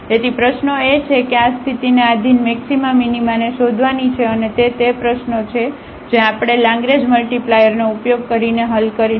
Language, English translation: Gujarati, So, the problem is to find the maxima minima subject to this condition and that is the problem which we will solve using the Lagrange multiplier